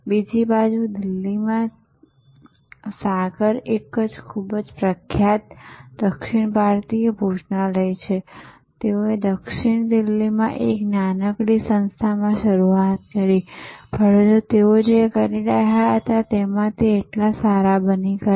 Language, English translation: Gujarati, On the other hand there is Sagar, a very famous South Indian restaurant in Delhi, they started in a small establishment in South Delhi, but they become so good in what they were doing